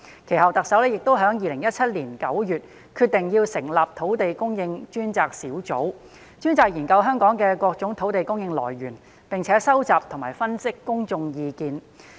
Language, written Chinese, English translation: Cantonese, 其後，特首亦在2017年9月決定成立土地供應專責小組，專責研究香港各種土地供應選項，並收集和分析公眾意見。, Subsequently in September 2017 the Chief Executive decided to set up a Task Force on Land Supply to examine various land supply options in Hong Kong and to collect and analyse public views